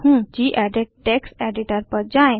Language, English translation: Hindi, I am using gedit text editor